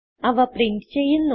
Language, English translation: Malayalam, Here we print them